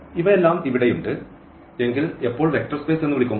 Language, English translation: Malayalam, And the question is whether this V forms a vector space